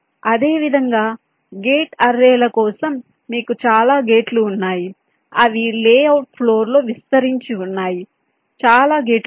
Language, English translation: Telugu, similarly for gate arrays, you have so many gates which are spread ah on the layout floor